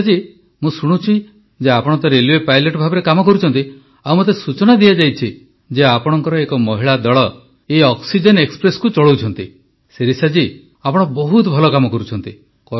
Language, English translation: Odia, Shirisha ji, I have heard that you are working as a railway pilot and I was told that your entire team of women is running this oxygen express